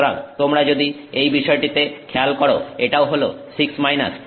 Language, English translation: Bengali, So, if you take this into account, this is 6 minus